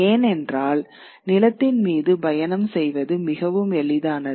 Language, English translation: Tamil, Because travel over land was far easier, so to say